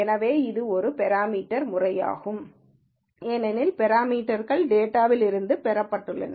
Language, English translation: Tamil, So, this is a parametric method, because parameters have been derived from the data